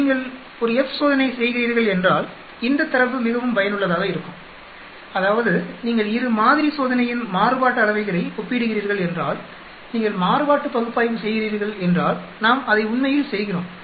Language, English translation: Tamil, This data is used very useful if you are doing a F test, that means if you are comparing variances of 2 sample test and if you are doing an analysis of variance so we do that actually